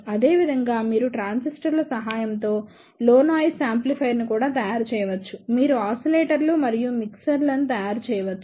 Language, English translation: Telugu, Similarly, you can also make low noise amplifier and gain with the help of transistors, you can make oscillators and mixers